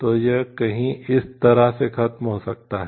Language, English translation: Hindi, So, it could somewhere be over in this range